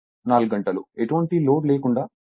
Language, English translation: Telugu, 9 and 4 hour, at no load